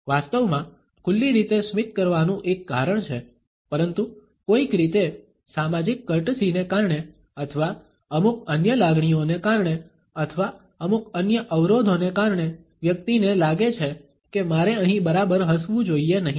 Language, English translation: Gujarati, There is a reason to actually smile in open manner, but somehow either, because of the social curtsey or, because of certain other emotions or, because of certain other constraints the person feels that well I should not exactly smile here